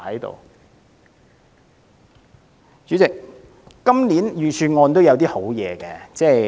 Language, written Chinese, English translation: Cantonese, 代理主席，今年預算案也有一些好建議。, Deputy President there are good proposals in the Budget this year